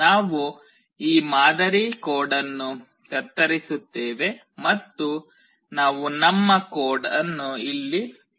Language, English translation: Kannada, We will just cut out this sample code and we will be writing our code in here